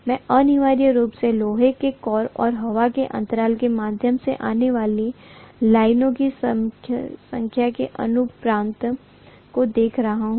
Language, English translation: Hindi, I am essentially looking at the ratio of the number of lines confining themselves to the iron core and the number of lines that are coming through the air gap